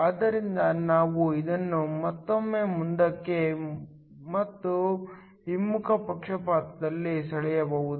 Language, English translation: Kannada, So, we can again draw this in both forward and reverse biased